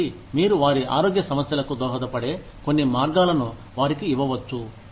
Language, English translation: Telugu, So, you could give them, some way of contributing to their health issues